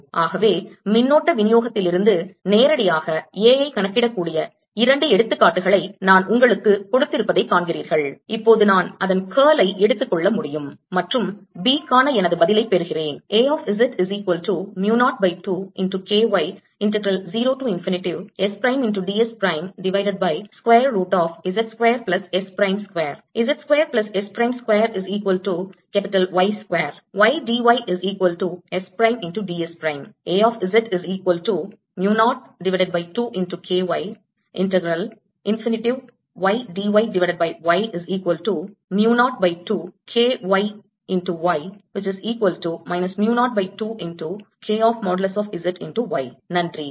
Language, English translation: Tamil, so you see, i've given you two examples where we can calculate a directly from a current distribution, and now i can take its curl and get my answer for b